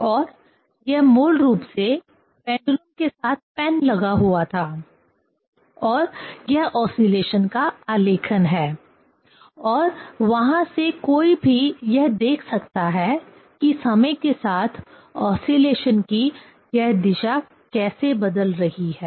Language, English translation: Hindi, And that was basically this with pendulum, some pen was attached and it is the plotting of the oscillation and from there one can see this, how this direction of the oscillation is changing with time